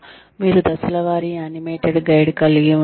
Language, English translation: Telugu, You could have, step by step, animated guide